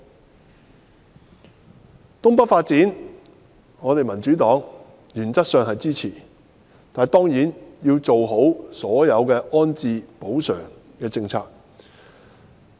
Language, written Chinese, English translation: Cantonese, 在東北發展方面，民主黨原則上支持，但當然要做好所有安置及補償的政策。, The Democratic Party supports in principle the development of North East New Territories NENT provided that the Government has properly put in place all rehousing and compensation measures